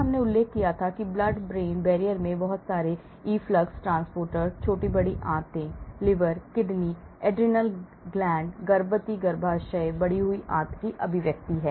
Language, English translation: Hindi, I mentioned blood brain barrier has a lot of efflux transporters, small and large intestines, liver, kidney, adrenal gland, pregnant uterus, increased intestinal expression